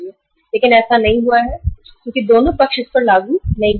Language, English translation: Hindi, But that has not happened because both the sides are not able to implement it